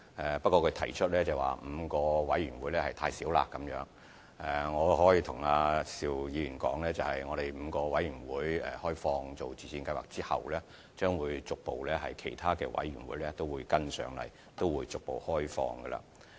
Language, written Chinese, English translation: Cantonese, 可是，邵議員認為5個委員會數目太少，我可以跟他說 ，5 個委員會開放予自薦計劃後，其他委員會將會隨後逐步開放。, However Mr SHIU said that five committees were just too few . I can tell him that following the inclusion of five committees the scheme will be opened to other committees gradually